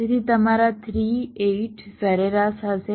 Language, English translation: Gujarati, so your three, eight will be average